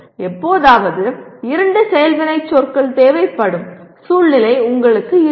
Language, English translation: Tamil, Occasionally you will have a situation where two action verbs are required